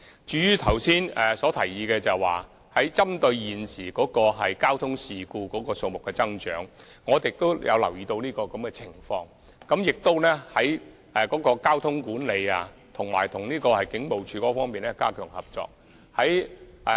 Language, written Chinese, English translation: Cantonese, 至於剛才的提議，針對現時交通事故數目增長，我們也留意到有此情況，並會在交通管理方面着手和與警務處加強合作。, As regards the proposal mentioned earlier in the light of the increase in the number of traffic accidents which we also notice we will step up cooperation with the Police Force in traffic management